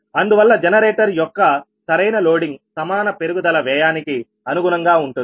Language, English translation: Telugu, therefore optimal loading of generator occurs correspond to the equal incremental cost